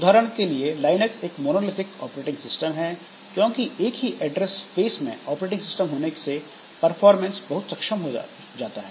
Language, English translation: Hindi, So, for example, Linux is monolithic because having the operating system in a single address space provides very efficient performance